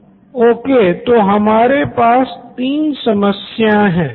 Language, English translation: Hindi, Okay, so great, so we have three problems